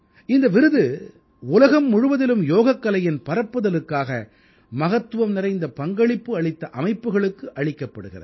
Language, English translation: Tamil, This award would be bestowed on those organizations around the world, whose significant and unique contributions in the promotion of yoga you cannot even imagine